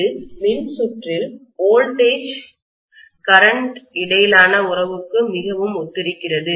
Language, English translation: Tamil, It is very similar to the relationship between voltage and current in an electrical circuit